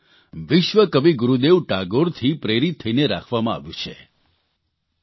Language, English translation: Gujarati, He has been so named, inspired by Vishwa Kavi Gurudev Rabindranath Tagore